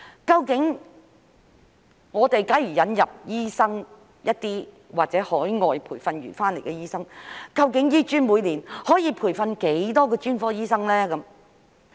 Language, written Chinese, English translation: Cantonese, 假如引入一些醫生，或海外培訓回流的醫生，究竟香港醫學專科學院每年可以培訓多少名專科醫生呢？, If some doctors or non - locally trained doctors NLTDs returning from abroad are admitted how many specialist doctors can be trained by the Hong Kong Academy of Medicine HKAM each year?